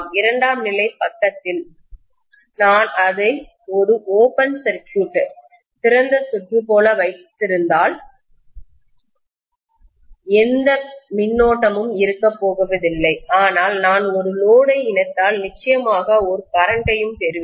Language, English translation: Tamil, On the secondary side, if I keep it like an open circuit, there is not going to be any current but if I connect a load, I will definitely have a current through that as well